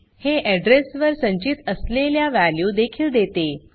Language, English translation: Marathi, It also gives value stored at that address